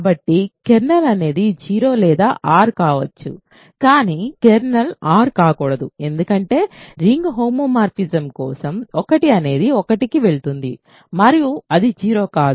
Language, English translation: Telugu, So, kernel is either 0 or R, but kernel cannot be R because 1 goes to 1 for a ring homomorphism and that is not 0